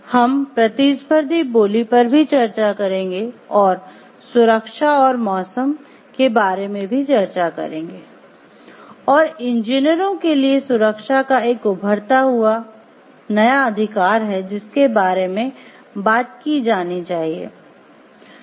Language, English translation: Hindi, We will be discussing about competitive bidding and also as like about safety weather safety is an emerging and must talked about new right of engineers